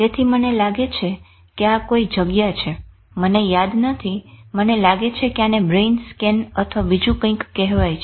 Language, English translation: Gujarati, So somebody, I think this is one of the site, I don't remember, I think it's called brain scan or something